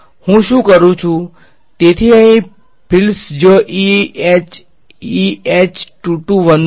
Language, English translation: Gujarati, What I do is; so, here fields where E H and E H 22 11